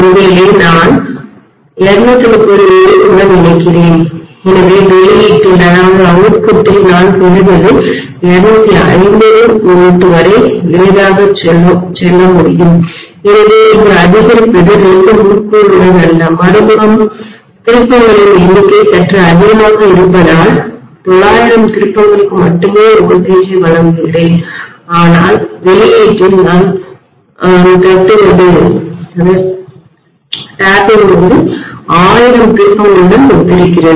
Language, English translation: Tamil, Maybe I am connecting to 230 volts here, so what I get at the output can go easily up to 250 volts, so it is like stepping up not with 2 windings but because the number of turns on the other side is a slightly higher, so I am supplying the voltage only to let us say 900 turns but what I am tapping at the output is corresponding to 1000 turns